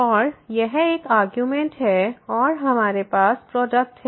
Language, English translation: Hindi, And this one argument is 0 and we have the product